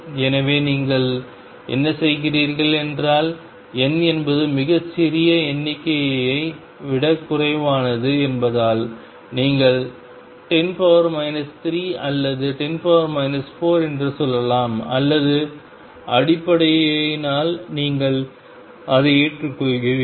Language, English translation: Tamil, So, what you do is you say psi n modulus is less than some very small number let us say 10 raise to minus 3 or 10 raise to minus 4 or so on if that is the case you accept it